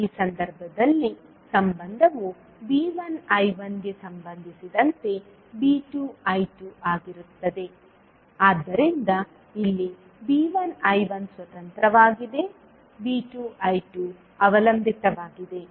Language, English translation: Kannada, In this case the relationship will be V 2 I 2 with respect to V 1 I 1, so here V 1 I 1 is independent, V 2 I 2 is dependent